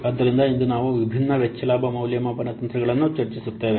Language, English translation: Kannada, So, today we will discuss the different cost benefit evaluation techniques